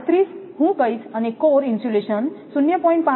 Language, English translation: Gujarati, 37, I will tell and core insulation 0